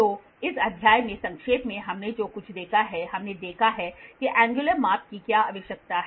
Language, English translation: Hindi, So, to recap in this chapter what all we have seen we have seen what is the need for angular measurements